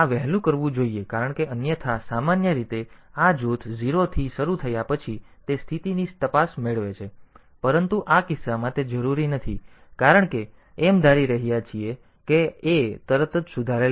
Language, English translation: Gujarati, So, this should be done earlier because otherwise normally this after this group is initialized to 0, it get condition check, but in this case it is not required because assuming that a is not modified immediately